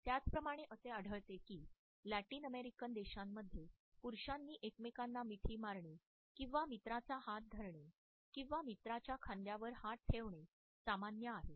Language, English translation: Marathi, Similarly, we find that in Latin American countries it is common for men to hug each other or grab the arm of a friend or place their hand on the shoulder of a friend during their communication